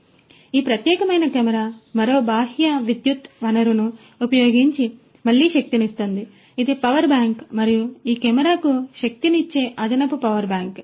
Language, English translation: Telugu, So, this particular camera is even again powered using another external power source, which is a power bank and that you know an additional power bank that is required to power powering this camera